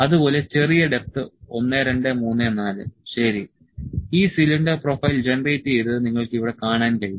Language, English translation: Malayalam, Similarly, little depth 1, 2, 3 and 4, ok so, this cylinder profile is generated you can see here